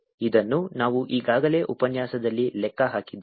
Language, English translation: Kannada, this we had already calculated in the lecture